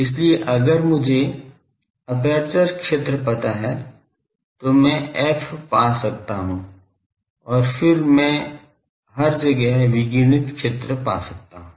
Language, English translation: Hindi, So, if I know aperture field, I can find f and then I can find the radiated field everywhere